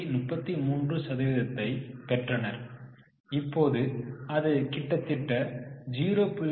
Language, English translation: Tamil, 33, now it is almost 0